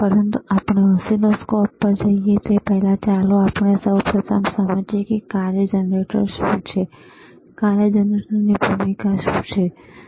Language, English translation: Gujarati, But before we move to oscilloscopes, let us first understand what is the function generator is, and what is the role of function generator is, all right